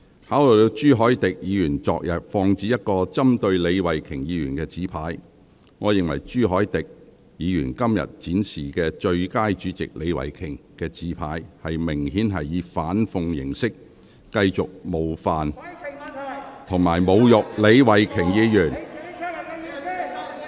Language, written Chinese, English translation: Cantonese, 考慮到朱凱廸議員昨天曾放置一個針對李慧琼議員的紙牌，我認為朱凱廸議員今天展示寫有"最佳主席李慧琼"字句的紙牌，明顯是以反諷形式繼續冒犯及侮辱李慧琼議員。, Considering the fact that Mr CHU Hoi - dick placed a placard to target Ms Starry LEE yesterday I consider that Mr CHU Hoi - dick who displayed a placard today reading Best Chairman Starry LEE obviously attempts to continue to offend and insult Ms Starry LEE in an ironic way